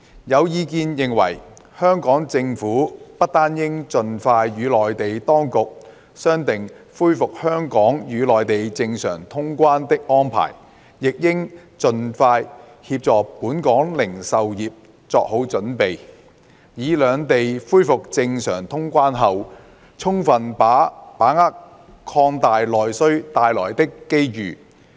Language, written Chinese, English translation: Cantonese, 有意見認為，香港政府不單應盡快與內地當局商定恢復香港與內地正常通關的安排，亦應協助本港零售業作好準備，以在兩地恢復正常通關後，充分把握擴大內需帶來的機遇。, There are views that the Hong Kong Government should not only expeditiously agree with the Mainland authorities the arrangements for the resumption of normal traveller clearance between Hong Kong and the Mainland but also assist Hong Kong retail industry in getting prepared so that the industry may fully grasp upon the resumption of normal traveller clearance between the two places the opportunities brought by the expanded domestic demand